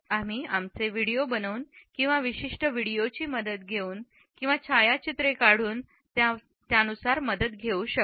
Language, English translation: Marathi, We can take the help of the preparation of videos; we can take the help by preparing certain videos, by taking certain photographs also